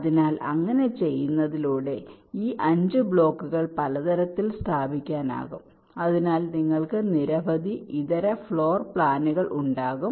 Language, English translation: Malayalam, so by doing that, these five blocks can be placed in several ways, so you can have several alternate floor plans